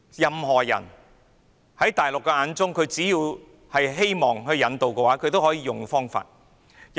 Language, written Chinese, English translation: Cantonese, 只要是大陸希望引渡的人，都可以用這方法引渡。, So long as they are people whom the Mainland wants to extradite extradition can be invoked in this way